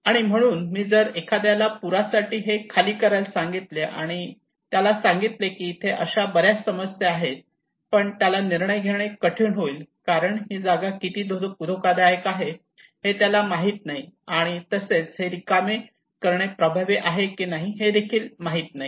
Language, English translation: Marathi, So here if I am asking someone to evacuate flood evacuations, I told that he has a lot of problems like is that difficult decisions because he does not know how risky the place is and evacuation is effective or not